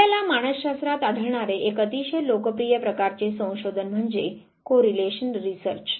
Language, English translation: Marathi, One very popular type of research that you find in psychology is the correlational type of research